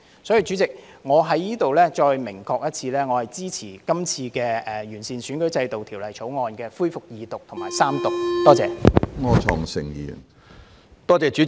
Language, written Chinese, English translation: Cantonese, 所以，主席，我在此再明確表示，我支持今次《條例草案》恢復二讀辯論和三讀。, Therefore President let me expressly state again that I support the resumption of the Second Reading debate and Third Reading on the Bill